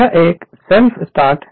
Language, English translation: Hindi, This is a self starting